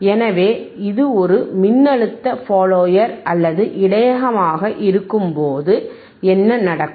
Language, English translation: Tamil, So, when it is a voltage follower or buffer, what will happen